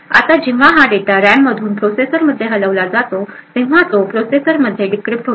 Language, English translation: Marathi, Now when this data is moved from the RAM to the processor it gets decrypted within the processor